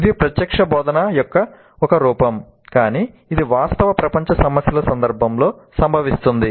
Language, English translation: Telugu, It is a form of direct instruction but it occurs in the context of real world problems